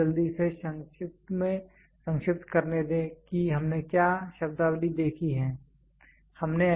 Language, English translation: Hindi, So, let me quickly recap what are the terminologies we saw